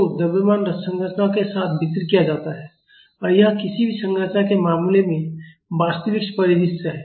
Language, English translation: Hindi, So, the mass is distributed along the structure and this is the real scenario in case of any structure